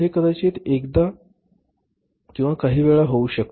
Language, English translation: Marathi, It can happen once or maybe sometime once in a while